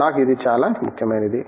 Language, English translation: Telugu, For me this is most important